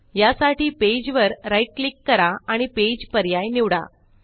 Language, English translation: Marathi, To do this, right click on the page and choose the Page option